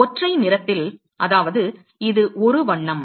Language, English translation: Tamil, At single color, which means is it is a single color